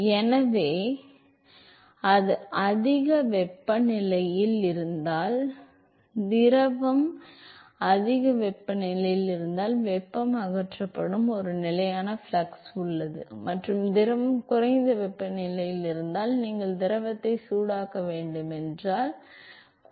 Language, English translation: Tamil, So, if it is at a higher, is the fluid is at higher temperature then there is a constant flux with at which the heat is removed and if the fluid is at a lower temperature where you want to heat the fluid, then it could be that there is the constant flux of heat that is supplied to the tube